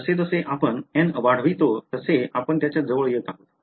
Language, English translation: Marathi, As we increase n we are approaching that